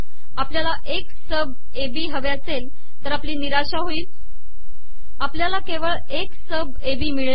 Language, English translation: Marathi, If we expect X sub AB we are disappointed, we only obtained X sub AB